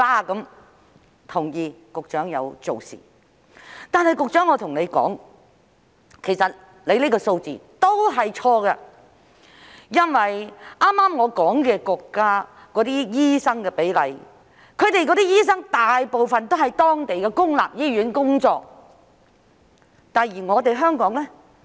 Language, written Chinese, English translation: Cantonese, 我同意局長有做事，但我要跟局長說，其實她的數字是錯的，因為我剛才提到的國家的醫生比例，醫生大部分都在當地的公立醫院工作，而香港呢？, I agree that the Secretary has done something but I have to tell her that her figures are actually wrong because regarding the ratio of doctors in the countries I mentioned just now most of the doctors there are working in local public hospitals . How about those in Hong Kong?